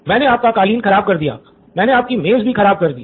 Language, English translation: Hindi, I spoilt your carpet, I spoilt your table